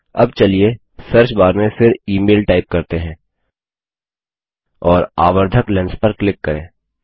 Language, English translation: Hindi, Now lets type email again in the Search bar and click the magnifying glass